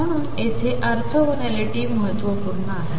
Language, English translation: Marathi, So, orthogonality here is important